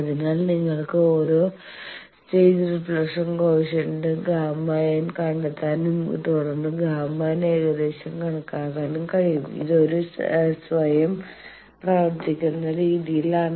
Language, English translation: Malayalam, So, you can find out each stage reflection coefficient gamma n and then gamma n can be approximated this is a automatic scheme